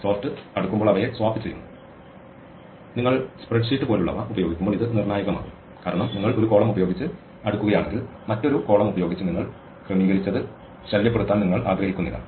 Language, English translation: Malayalam, So, I should not take two elements that are equal and, sort, swap them while sorting and this would be crucial when you are using something like a spreadsheet because if you sort by one column you do not want to disturb the sorting that you did by another column